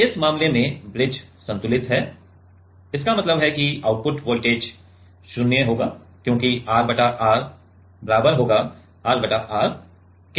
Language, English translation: Hindi, Now, in this case the bridge is balanced; that means, that the output voltage will be 0 because R by R equal to R by R right